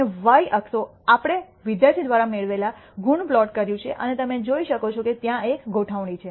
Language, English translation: Gujarati, And the y axis we have plotted the marks obtained by the student and you can see there is an alignment